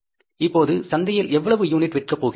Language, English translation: Tamil, How much units we are going to sell in the market now